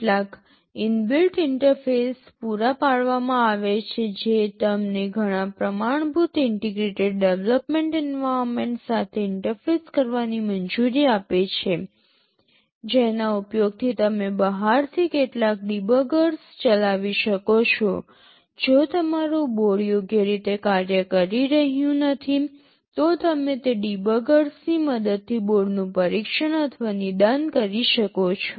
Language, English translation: Gujarati, There are some inbuilt interfaces provided that allows you to interface with several standard integrated development environments using which you can run some debuggers from outside, if your board is not working properly you can test or diagnose the board using those debuggers